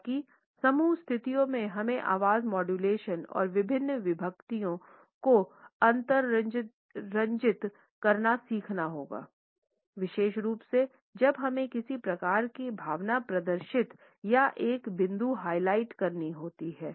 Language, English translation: Hindi, However, in group situations we have to learn to exaggerate the voice modulation and inflections, particularly when we have to demonstrate some kind of emotion or highlight a point